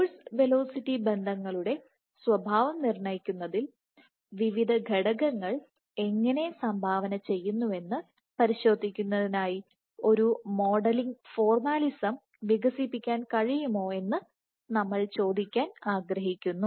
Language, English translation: Malayalam, So, and we wanted to ask that can we develop a modeling formalism for testing how various parameters contribute to dictating the nature of force velocity relationships